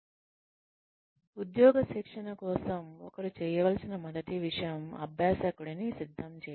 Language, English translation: Telugu, For on the job training, the first thing that one needs to do is, prepare the learner